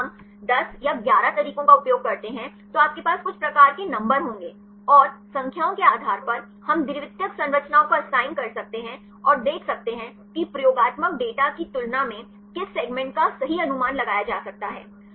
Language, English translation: Hindi, If we use 10 or 11 methods then you will have some sort of numbers and based on the numbers; we can assign the secondary structures and see which segment can be correctly predicted compared with the experimental data